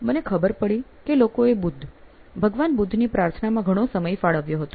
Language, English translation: Gujarati, And I found out that the people had devoted a lot of time into praying Buddha, Lord Buddha